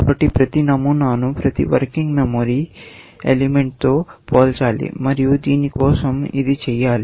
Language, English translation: Telugu, So, every pattern has to be compared with every working memory element, and that is to be done for this